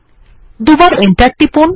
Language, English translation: Bengali, Press enter twice